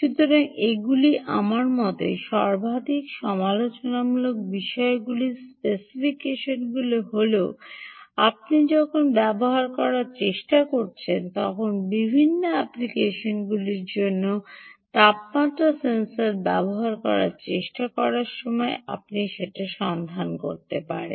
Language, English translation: Bengali, so these are, i think, the most, in my opinion are the most critical things: ah, um, specifications that you will have to look out when you are trying to use, when you are trying to make, when trying to use a temperature sensor for different applications